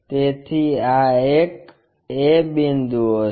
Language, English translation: Gujarati, So, this will be the a point